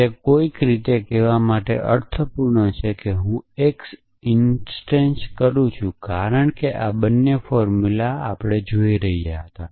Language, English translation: Gujarati, So, it make sense to somehow say that I am instantiate x to because while looking at both this formulas